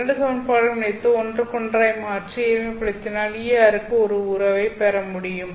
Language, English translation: Tamil, So, if I can combine these two equations and substitute one in place of the other and simplify them, then maybe I'll be able to obtain a relationship for ER